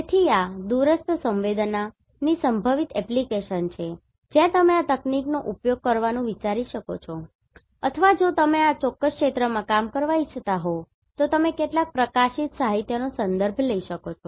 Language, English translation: Gujarati, So, these are the potential application of remote sensing GIS is where you can think of applying these techniques or you can refer some of the published literature if you are willing to work in this particular area